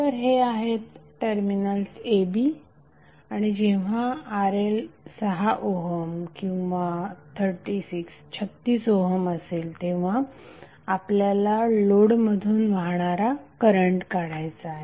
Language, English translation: Marathi, So these are the terminals a b and we have to find out the current through the load when RL is equal to either 6 ohm or 36 ohm